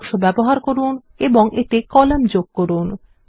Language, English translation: Bengali, Use text boxes and add columns to it